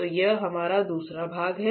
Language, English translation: Hindi, So, that is our second part